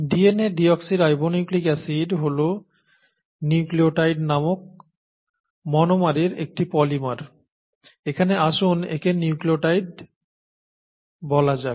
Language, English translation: Bengali, DNA is a polymer of the monomer called a nucleotide; deoxynucleotide; but let’s call it nucleotide here